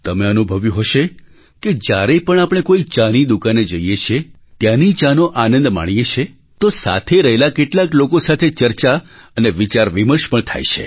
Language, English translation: Gujarati, You must have realized that whenever we go to a tea shop, and enjoy tea there, a discussion with some of the customers automatically ensues